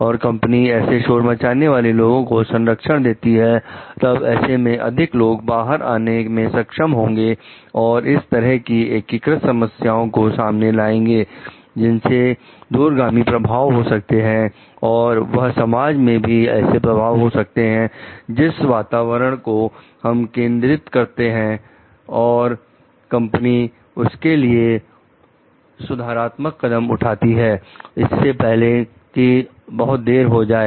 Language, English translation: Hindi, And the company protects of whistleblower; then people will be able to bring out more like these type of integrated problems, which may have a long term effect on the maybe the society, the environment that that we come to focus, and the company will be able to take like corrective measures before it is too long